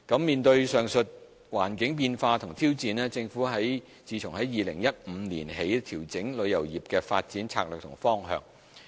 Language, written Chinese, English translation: Cantonese, 面對上述環境變化和挑戰，政府自2015年起調整旅遊業的發展策略和方向。, In face of the above environmental changes and challenges the Government has adjusted the strategy and direction of the development of tourism since 2015